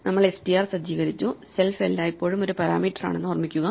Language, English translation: Malayalam, We set up str, so remember that self is always a parameter